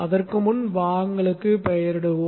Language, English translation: Tamil, Before that let us name the parts